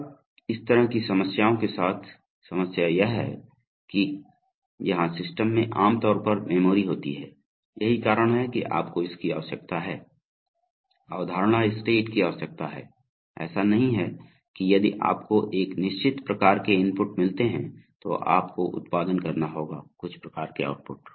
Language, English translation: Hindi, Now the problem with this kind of problems is that they are just, here systems generally have memory, that is why you need the, need the concept states, it is not that if you get a certain kind of inputs, you will have to produce certain kinds of outputs